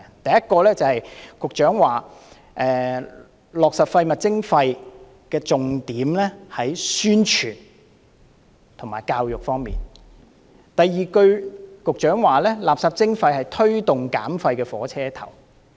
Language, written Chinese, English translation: Cantonese, 第一，局長說落實垃圾徵費的重點，在於宣傳和教育方面；第二，局長說垃圾徵費是推動減廢的火車頭。, First the Secretary stated that effective implementation of waste charging hinged on publicity and education; second the Secretary described waste charging as the locomotive of waste reduction